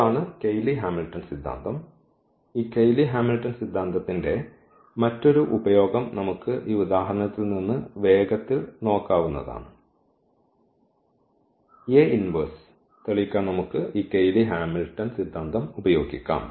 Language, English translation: Malayalam, So, that is what the Cayley Hamilton theorem is; another use of this Cayley Hamilton theorem we can quickly look from this example we can use this Cayley Hamilton theorem to prove this A inverse